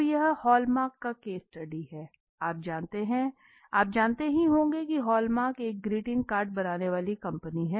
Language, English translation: Hindi, Okay now this is the case of the hall mark if you know Hallmark is a card greeting card making company